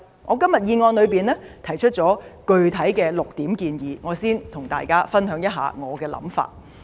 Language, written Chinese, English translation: Cantonese, 我在議案中提出了具體的6點建議，我先和大家分享我的想法。, I have put forward six specific proposals in my motion . Let me share my views first